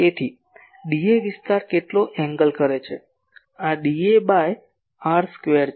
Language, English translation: Gujarati, So, d A area will subtend how much angle , this will be d A by r square